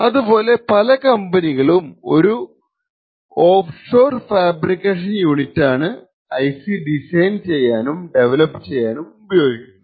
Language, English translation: Malayalam, Similarly, most companies use an offshore fabrication unit to actually design and develop these ICs